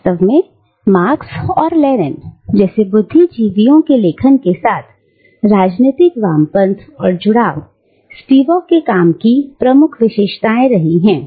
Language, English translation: Hindi, And indeed, political leftism and engagement with the writings of intellectuals like Marx and Lenin, have remained prominent characteristics of Spivak's work